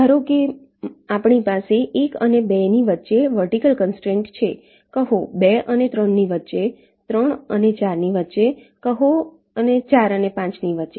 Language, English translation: Gujarati, suppose we have a vertical constraint between one and two, say between two and three, three and four and say four and five